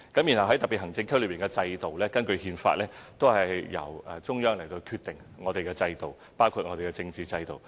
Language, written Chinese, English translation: Cantonese, 至於特別行政區內的制度，根據憲法，均由中央決定我們的制度，包括政治制度。, According to the Constitution of PRC the systems to be instituted in special administrative regions including their political systems are to be determined by the Central Government